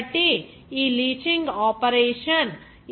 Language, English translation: Telugu, So this leaching operation